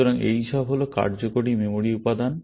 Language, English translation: Bengali, So, all these are working memory elements